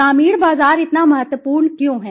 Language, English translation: Hindi, Why the rural market is so important